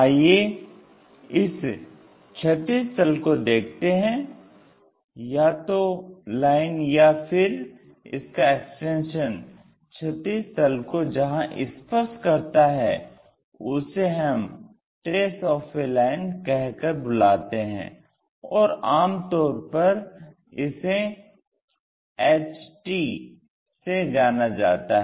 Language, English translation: Hindi, Let us look at with horizontal plane, a line itself or its intersection; if it touches horizontal plane, we call trace of a line on horizontal plane and usually we denote it by HT symbol